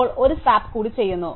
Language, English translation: Malayalam, Now, I do one more swap